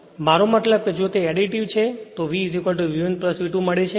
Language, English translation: Gujarati, Then, your what you callyour then,if you get V is equal to V 1 plus V 2